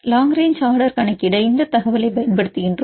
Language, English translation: Tamil, We use this information to calculate the long range order